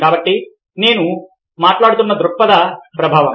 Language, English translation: Telugu, so, perspective effect which i was talking about